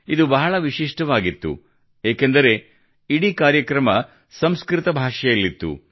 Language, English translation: Kannada, This was unique in itself, since the entire program was in Sanskrit